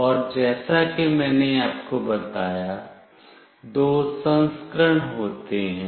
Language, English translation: Hindi, And as I told you, there are two versions